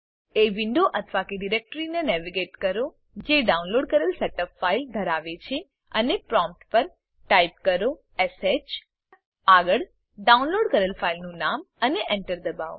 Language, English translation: Gujarati, Navigate to the window or directory which contains the downloaded set up file and at the prompt Type sh followed by the name of the downloaded file and press Enter